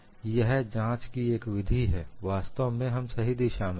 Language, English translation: Hindi, So, that is one way of verification, indeed we are in the right direction